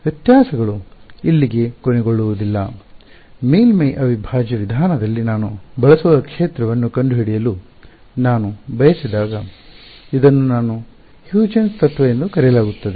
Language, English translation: Kannada, The differences do not end here, when I want to find out the field far away I use in the surface integral approach this is called my Huygens principle right